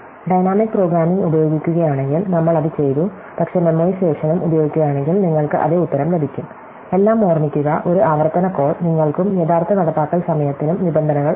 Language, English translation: Malayalam, If use dynamic programming, we have done it, but if use memoization also, you will get the same answer, all though remember, there is a recursive calls might cost you and terms of actual implementation time